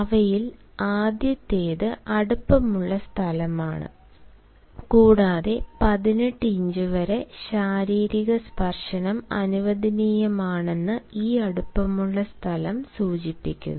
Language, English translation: Malayalam, the first among them is the intimate space, and this intimate space denotes that physical touch up to eighteen inches is allowed